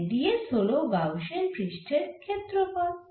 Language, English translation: Bengali, so d s is the surface area of the gaussian surface